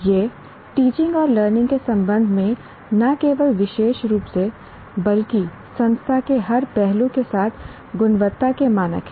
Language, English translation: Hindi, It is the quality standards are not only specifically with respect to teaching and learning, but every facet of the institution